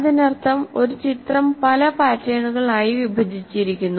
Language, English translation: Malayalam, That means as if any picture is broken into large number of patterns and they're stored